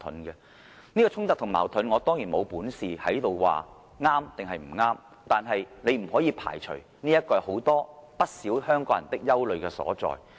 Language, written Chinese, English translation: Cantonese, 有關的衝突和矛盾，我當然沒有本事在這裏評論對錯，但大家不可以排除，這是很多香港人的憂慮所在。, I am of course not qualified to comment on who is right and who is wrong regarding such variance . But Members cannot deny that this is a cause of worry among many Hong Kong people